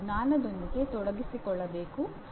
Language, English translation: Kannada, He has to engage with the knowledge